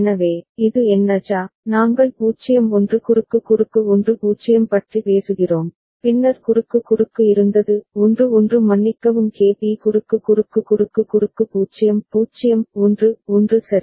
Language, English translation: Tamil, So, this what JA, we are talking about 0 1 cross cross 1 0, then there was cross cross 1 1 sorry KB cross cross cross cross 0 0 1 1 ok